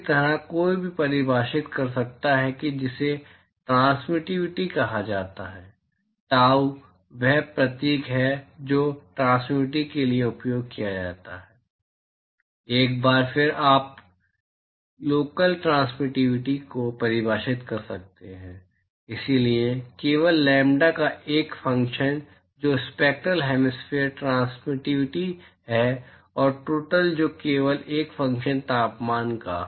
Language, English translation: Hindi, Similarly, one could define what is called the transmitivity, tau is the symbol that is used for transmitivity, once again you can define local transmitivity, so, only a function of lambda, which is the spectral hemispherical transmitivity and total which is only a function of temperature